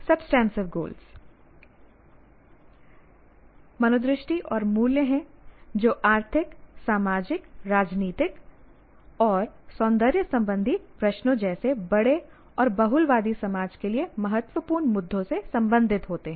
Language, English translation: Hindi, Then you can have substantive goals are attitudes and values related to bigger issues like economic, social, political, ethical and aesthetic questions and issues of importance to a pluralistic society